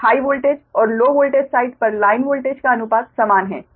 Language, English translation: Hindi, so ratio of the line voltage on high voltage and low voltage side are the same, right